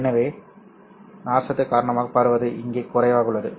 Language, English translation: Tamil, So clearly the spreading due to the fiber is less here